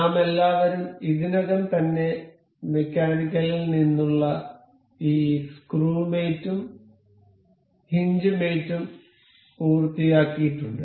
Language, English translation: Malayalam, We all we have already have covered this screw mate and this hinge mate from mechanical